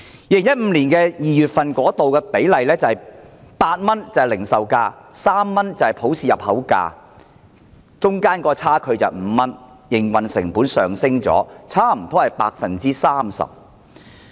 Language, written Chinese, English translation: Cantonese, 2015年2月份，零售價是8元，普氏平均價是3元，兩者的差距是5元，營運成本上升差不多 30%。, The difference of the two is 3.7 which means the operating cost is 3.7 . In February 2015 the retail price was 8 and MOPS was 3 . The difference is 5 representing an increase of almost 30 % in operating costs